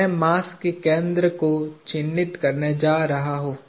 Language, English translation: Hindi, I am going to mark the center of mass